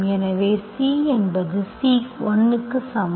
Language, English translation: Tamil, So this is actually N